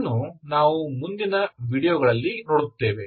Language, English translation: Kannada, That we will see in the next videos